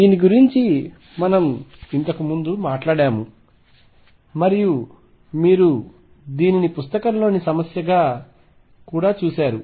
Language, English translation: Telugu, This we have talked about earlier and you have also seen this as a problem in the book